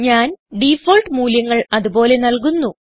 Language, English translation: Malayalam, I will leave the default values as they are